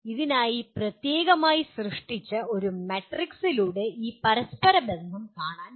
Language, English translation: Malayalam, We will presently see this correlation can be seen through a matrix specifically created for this